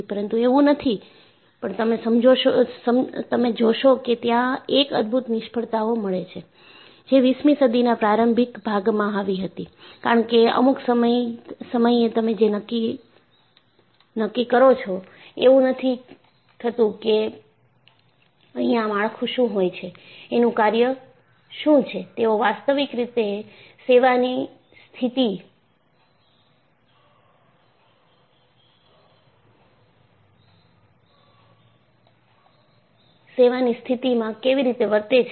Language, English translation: Gujarati, So, if you look at, there have been spectacular failures, which occurred in the early part of the twentieth century; because at some point in time, you decide, you have understood, what the structure is, how do they behave in actual service condition